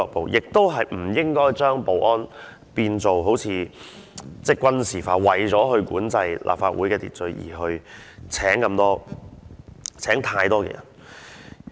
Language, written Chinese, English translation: Cantonese, 此外，我覺得亦不應該將保安變成軍事化，為了管制立法會的秩序而聘請太多人員。, Besides I think we should not militarize the security team by employing too many security staff to control the order of the Legislative Council